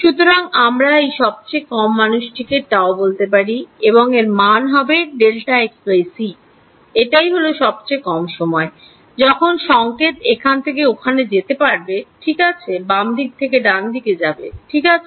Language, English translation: Bengali, So, I am calling this minimum is tau this value of delta x by c is the minimum time required for the signal to go from here to here right from left to right ok